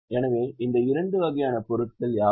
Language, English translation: Tamil, So, what are these two types of items